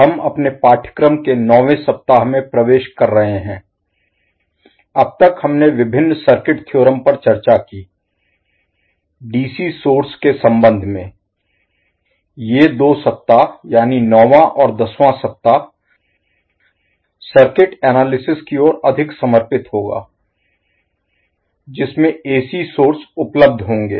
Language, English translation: Hindi, Namaskar So we are entering into the ninth week of our course, till now we discussed various circuit theorems, with respect to DC source, these 2 weeks, that is ninth and tenth week will devote more towards circuit analyst is, when the AC sources available